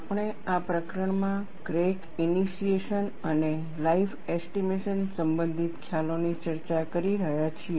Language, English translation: Gujarati, We have been discussing concepts related to crack initiation and life estimation in this chapter